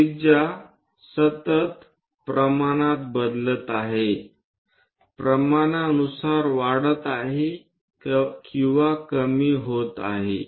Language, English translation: Marathi, Continuously, radius is changing increasing or decreasing proportionately